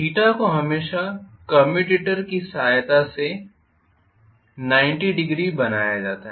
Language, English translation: Hindi, Theta is always made as 90 degrees by inserting the commutator